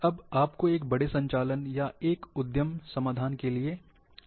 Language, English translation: Hindi, Now you are going for large operations, or an enterprise solution